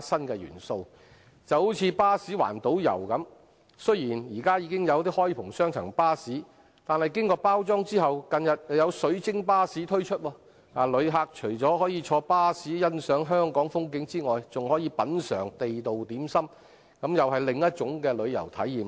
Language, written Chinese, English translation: Cantonese, 舉例而言，就如巴士環島遊，雖然現時已有開篷雙層巴士，但經過包裝後，近日便有"水晶巴士"推出，旅客除可坐在巴士欣賞香港的風景外，還可品嘗地道點心，這又是另一種旅遊體驗。, For instance although city tours are now provided by open - top double decker buses the Crystal Bus was launched in recent days after packaging . Visitors not only can take a ride to enjoy the scenery of Hong Kong they can also taste local dim sum en route . This is another kind of travel experience